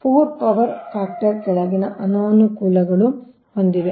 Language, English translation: Kannada, the poor power factor of the system has the following disadvantages